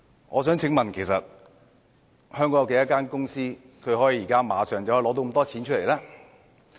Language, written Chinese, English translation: Cantonese, 我想問香港有多少間公司可以馬上拿出這麽多錢呢？, How many companies in Hong Kong can produce this amount of money right away?